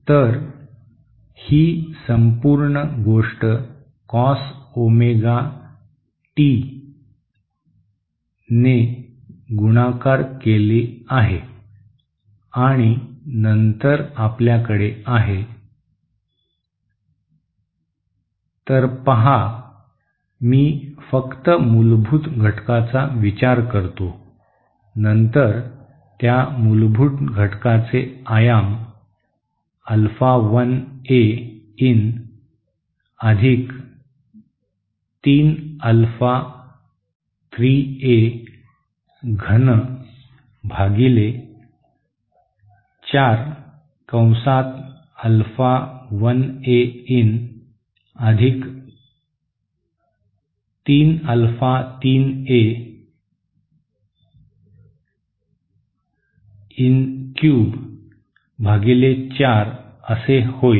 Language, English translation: Marathi, So this is this whole thing multiplied by Cos Omega t and then below that we have So you see I just consider the fundamental component, then that fundamental component will have amplitude Alpha 1 A in + 3 Alpha 3 A in cube upon 4